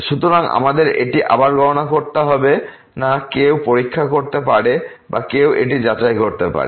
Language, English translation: Bengali, So, we do not have to compute this again one can check or one can verify this